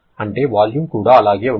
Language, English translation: Telugu, That means is volume will also remain the same